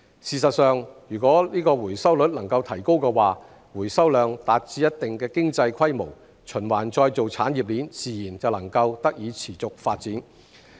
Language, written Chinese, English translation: Cantonese, 事實上，如果回收率能夠提高，回收量達至一定的經濟規模，循環再造產業鏈自然能夠得以持續發展。, As a matter of fact if the recovery rate can be raised such that the recovery quantity reaches a certain economic scale the recycling chain can naturally achieve sustainable development